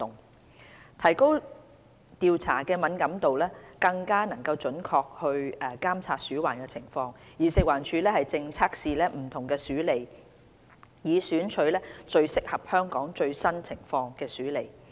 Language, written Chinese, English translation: Cantonese, 為提高調查的敏感度，更準確監察鼠患情況，食環署正測試不同鼠餌，以選取最適合香港最新情況的鼠餌。, To increase the sensitivity of the surveys for a more accurate assessment of rodent problem FEHD is conducting tests on different rodent baits to identify the most suitable one for the latest situation in Hong Kong